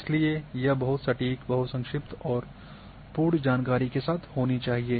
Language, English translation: Hindi, It should be very precise,very brief and with complete information